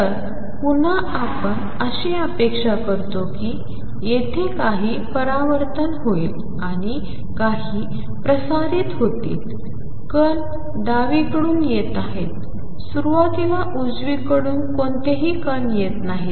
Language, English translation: Marathi, So, again we expect that there will be some reflection and some transmission against is the particles are coming from the left initially there no particles coming from the right